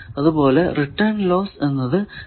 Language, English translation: Malayalam, So, return loss it is a scalar quantity